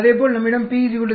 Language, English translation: Tamil, Similarly we have p is equal to 0